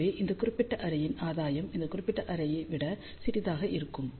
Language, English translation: Tamil, Hence, gain of this particular array will be smaller than this particular array